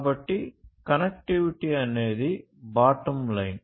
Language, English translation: Telugu, So, connectivity is the bottom line